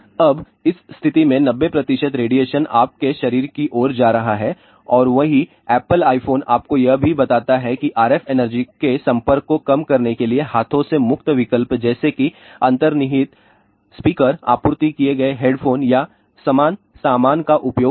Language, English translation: Hindi, Now, in this situation 90 percent of the radiation is going towards your body and the same apple iphone also tells you that to reduce exposure to RF energy use a hands free option such as built in speaker, supplied headphones or similar accessories